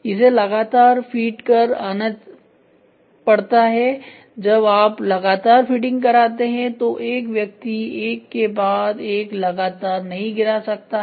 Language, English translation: Hindi, So, it has to be continuously feed, when you are continuously feeding it a individual man cannot drop one after the other after the other